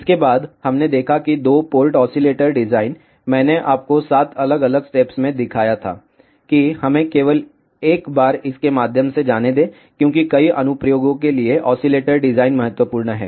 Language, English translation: Hindi, After this, we looked that two port oscillator design, I had shown you 7 different steps let us just go through it one more time, because oscillator design is crucial for many applications